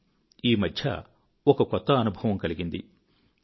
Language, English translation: Telugu, But these days I'm experiencing something new